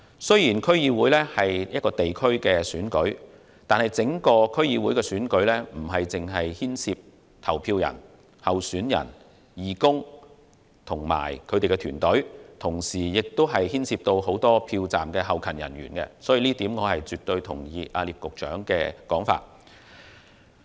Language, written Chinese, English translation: Cantonese, 雖然區議會是一個地區選舉，但整個區議會選舉不只牽涉投票人、候選人、義工及團隊，同時亦牽涉很多票站後勤人員，所以我絕對同意聶局長的說法。, Although the DC Election is a district election the entire election involves not only voters candidates volunteers and electioneering teams but also many polling staff who are responsible for providing logistics support . I therefore absolutely agree with the views expressed by Secretary NIP